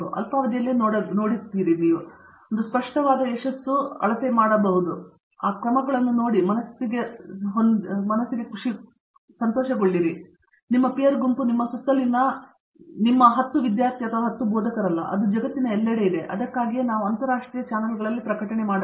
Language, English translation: Kannada, We all look in the short term that is a very clear success measure, look for those measures and mind you, your peer group is not your immediate 10 students around you, it is somewhere else in the world that’s why we publish in international channels